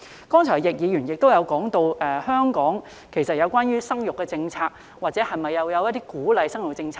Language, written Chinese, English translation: Cantonese, 剛才易議員亦提到香港的生育政策，香港是否有鼓勵生育的政策呢？, Mr YICK has also referred to the policy on childbearing in Hong Kong a while ago . Does Hong Kong have a policy to encourage childbearing?